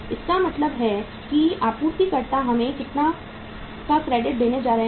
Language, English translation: Hindi, It means suppliers are going to give us this much of the credit